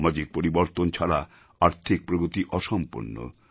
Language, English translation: Bengali, Economic growth will be incomplete without a social transformation